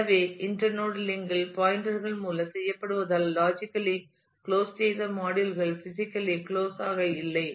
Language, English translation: Tamil, So, since the inter node connections are done by pointers, “logically” closed blocks are not “physically” close